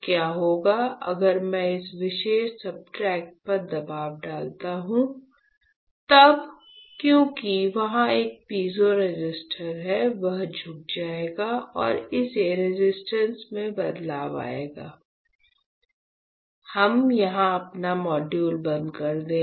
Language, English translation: Hindi, If I apply pressure to this particular substrate, to this one; then because there is a piezo resistor, it will bend and that will cause a change in resistance, all right